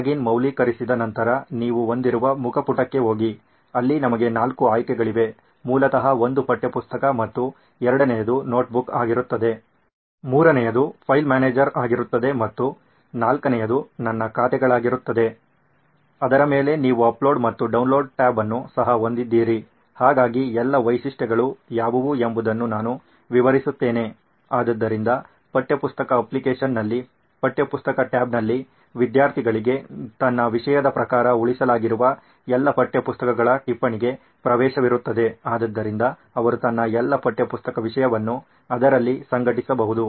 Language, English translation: Kannada, Once the login is validated you go to a homepage where you have, where we have four options basically one would be the textbook and second would be the notebook, third would be a file manager and fourth would be my accounts, on top of that you also have an upload and a download tab, so I‘ll just explain what all are the features, so in the textbook application, on the textbook tab the students will have access to all the list of textbooks that have essentially been saved as per his content, so he can organise all his textbook content on in that